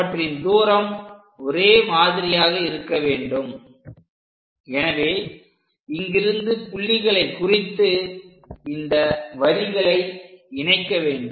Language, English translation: Tamil, This distance supposed to be same as, so from here, let us mark and join these lines